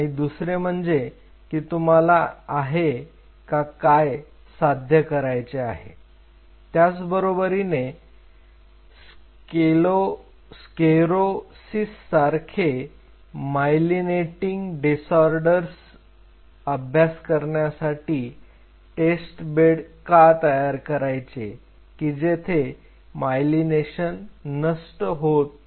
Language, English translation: Marathi, So, second this what you want to achieve why test bed for studying myelinating disorders sclerosis where myelination is destroyed